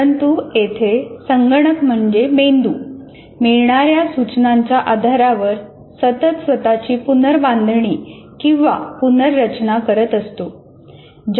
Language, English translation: Marathi, But here the computer itself is continuously reorganizing itself on the basis of input